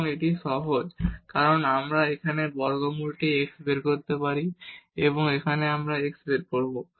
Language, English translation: Bengali, And, this is simple because we can take here square root x out and here we will take x out